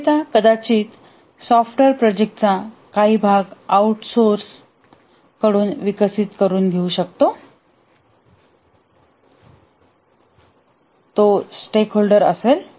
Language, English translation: Marathi, The vendor may be developed some outsourced software part of the project